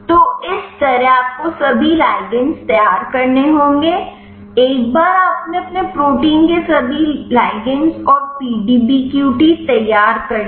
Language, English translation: Hindi, So, like this you have to prepare all the ligands, once you prepared all the ligand and the PDBQT of your protein